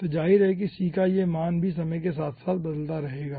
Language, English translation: Hindi, so obviously this value of c will be changing across the time